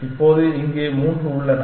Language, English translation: Tamil, Now, here there are 3